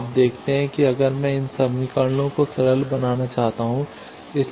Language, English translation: Hindi, Now you see that, if I want to simplify these equations